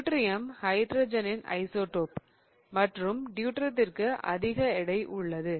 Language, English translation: Tamil, Deuterium is an isotope of hydrogen and deuterium has a higher mass, right